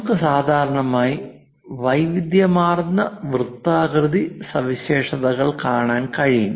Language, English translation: Malayalam, There are variety of circular features we usually see it